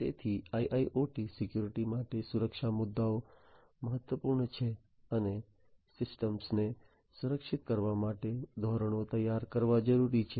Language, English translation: Gujarati, So, for industrial internet IIoT securities security issues are important and securing the standards for securing the systems are required to be designed